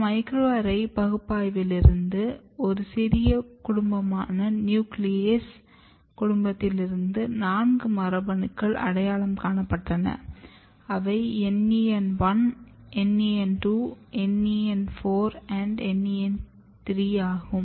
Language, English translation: Tamil, And from this microarray analysis there were four genes very small family of putative nuclease family of genes we are identified which was NEN1, NEN2, NEN4, 3 we are showing here